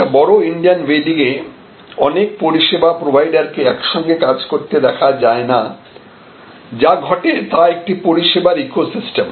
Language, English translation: Bengali, A good Indian wedding today not does not happen as a number of individual service providers working together, but it happens more like a service ecosystem